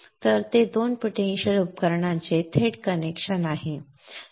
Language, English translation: Marathi, So there is a direct connection of two potential devices